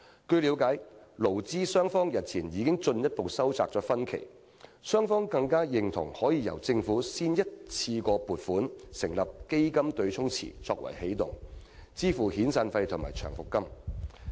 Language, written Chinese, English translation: Cantonese, 據了解，勞資雙方日前已進一步收窄分歧，雙方更認同可以先由政府一筆過撥款成立"基金對沖池"作為起動，支付遣散費和長期服務金。, As I understand it employers and employees have further narrowed down their difference as they both agreed that the matter can be taken forward initially by the Government establishing an offsetting fund pool with an one - off provision to pay out long service and severance compensation to workers